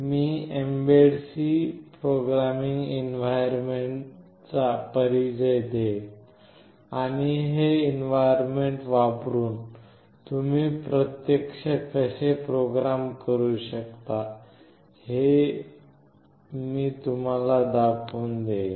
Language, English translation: Marathi, I will introduce the mbed C programming environment and I will show you that how you can actually program using this environment